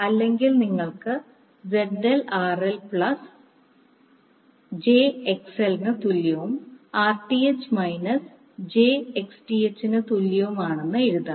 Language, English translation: Malayalam, Or you can write ZL is equal to RL plus jXL is equal to Rth minus jXth